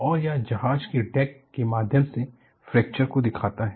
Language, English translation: Hindi, And, this shows the fracture through the deck